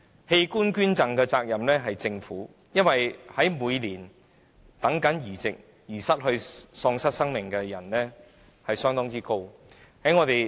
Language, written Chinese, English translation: Cantonese, 器官捐贈的責任應由政府承擔，因為每年在等候器官移植期間失去生命的人相當多。, The responsibility of organ donation should be taken up by the Government as a rather large number of people passed away each year while waiting for organ transplantation